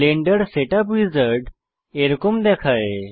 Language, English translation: Bengali, So this is what the Blender Setup Wizard looks like